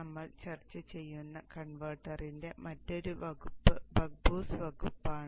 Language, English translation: Malayalam, The other family of converter that we will discuss is the Buck Boost family